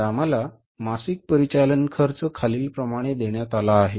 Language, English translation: Marathi, Now we are given the monthly operating expenses as follows